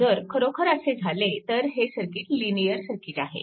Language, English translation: Marathi, So, in the circuit is linear circuit right